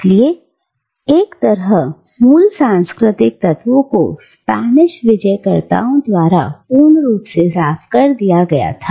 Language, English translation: Hindi, So, on the one hand, the original cultural template was scrubbed clean almost by the Spanish conquistadors